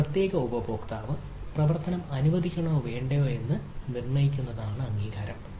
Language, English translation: Malayalam, authorization is determination of whether or not operation is allowed by a certain user